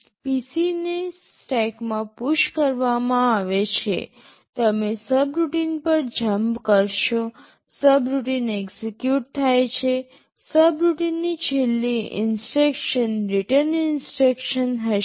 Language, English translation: Gujarati, The PC is pushed in the stack, you jump to the subroutine, subroutine gets executed, the last instruction of the subroutine will be a return instruction